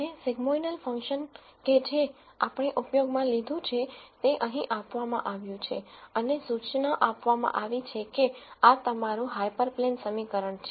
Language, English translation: Gujarati, And the sigmoidal function that we used is given here and notice that this is your hyperplane equation